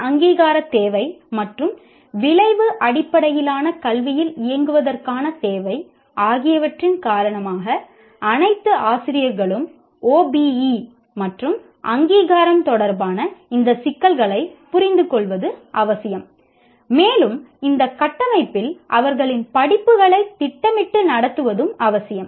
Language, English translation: Tamil, Now because of this accreditation requirement as well as requirement of operating within outcome based education, it becomes necessary for all faculty to understand these issues related to OBE and accreditation and what do you call, plan and conduct their courses in this framework